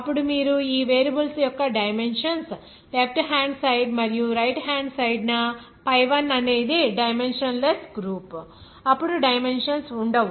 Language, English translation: Telugu, Then if you consider that dimensions of all these variables in the left hand side and right hand side since pi1 be dimensionless group then no dimensions will be there